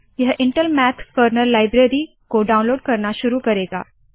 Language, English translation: Hindi, This will start downloading of Intel Math Kernal Library for Scilab